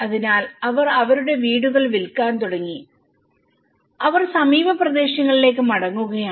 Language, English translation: Malayalam, So, they started selling their houses and they are going back to some nearby areas